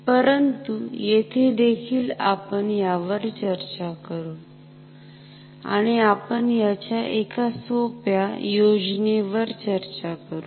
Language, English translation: Marathi, So, but here also we will discuss it and we will discuss a simplified scheme